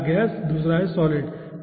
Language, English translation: Hindi, first one is gas and then second one is solid